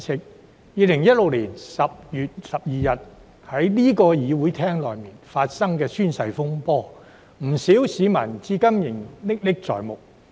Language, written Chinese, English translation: Cantonese, 在2016年10月12日，不少市民對於在這個會議廳內發生的宣誓風波至今仍歷歷在目。, Many citizens still have a vivid memory of the oath - taking controversy that happened on 12 October 2016 in this Chamber